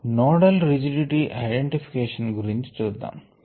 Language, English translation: Telugu, let us look at nodal rigidity identification